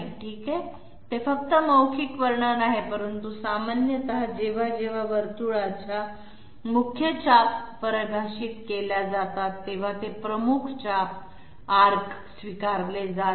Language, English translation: Marathi, Okay those are you know just a verbal description, but generally whenever the major arc of the circle being defined is concerned in the in the definition, that is not accepted major arc